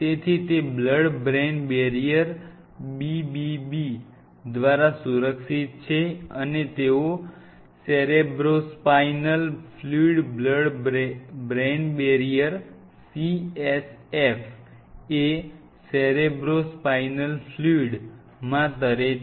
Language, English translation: Gujarati, So, these are protected by blood brain barrier BBB, and they are bathe in cerebrospinal fluid CSF Cerebro Spinal Fluid blood brain barrier